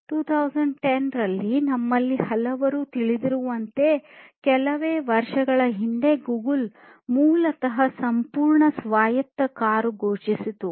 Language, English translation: Kannada, In 2010, as many of us know just still few years back, Google basically announced the fully autonomous car, full autonomous car